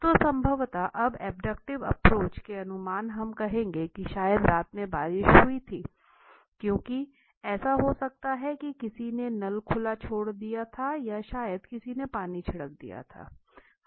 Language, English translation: Hindi, So there was probably at the as per abductive inference we will say there was probably rain in the night, why because it might be possible that who somebody had left a tap open or maybe somebody had sprinkled water